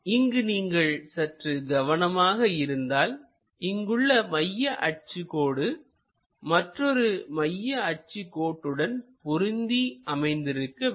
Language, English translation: Tamil, And if you are careful enough, here the center line and center line supposed to get matched